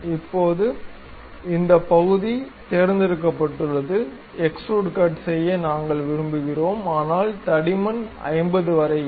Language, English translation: Tamil, Now, this part is selected; we would like to have extrude cut, but some thickness not up to 50